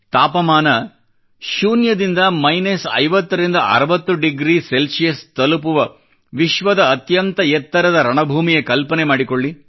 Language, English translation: Kannada, Just imagine the highest battlefield in the world, where the temperature drops from zero to 5060 degrees minus